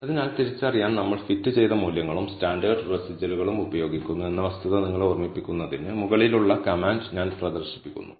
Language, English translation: Malayalam, So, I am displaying the command above to remind, you of the fact that we are using fitted values and standardized residuals to identify